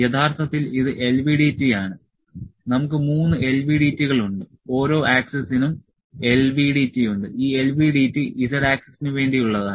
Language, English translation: Malayalam, We are actually this is LVDT, this is LVDT we have 3 LVDTs each axis has an LVDT is this LVDT is for, this LVDT is for z axis